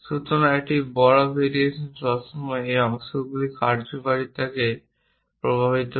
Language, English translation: Bengali, So, a large variation always affects the functionality of this parts